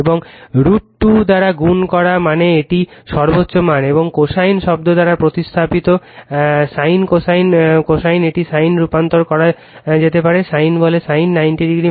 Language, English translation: Bengali, And multiplied by root 2 means it is the peak value and represented by the cosine term sin cosine right cosine also you can convert it to sin your what you call sin; sin 90 degree minus theta cos theta right